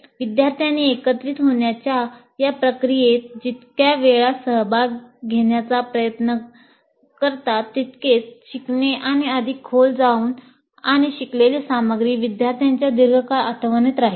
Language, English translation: Marathi, The more often we try to have the students engage in this process of integration, the more likely that learning will be deep and the material learned would go into the long term memory of the students